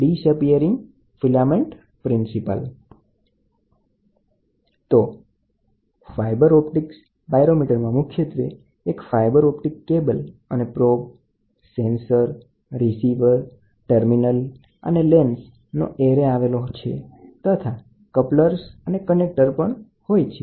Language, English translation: Gujarati, So, fibre optic pyrometer, the fibre optic pyrometer essentially comprises a fibre optic cable and an array of components such as probes, sensor and receivers, terminals, lens, couplers and connectors